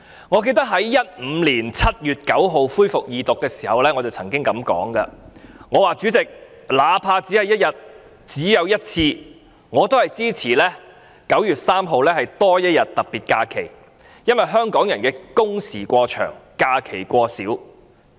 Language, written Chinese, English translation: Cantonese, 我記得在2015年7月9日恢復二讀辯論時曾經表示，"主席，哪怕只有1天，只有1次，我也支持今年9月3日多放1天特別假期，因為......香港人都是工時過長，假期過少。, As far as I remember when the Second Reading debate was resumed on 9 July 2015 I said President be it only one day or just once I will support having an extra special holiday on 3 September this year because Hong Kong people are working excessively long hours but enjoying too few holidays